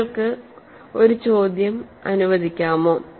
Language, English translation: Malayalam, Can you allow one question